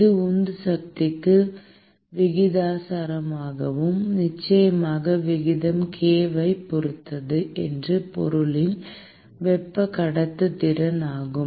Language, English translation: Tamil, It is also proportional to the driving force, and of course, the rate depends on k, which is the thermal conductivity of the material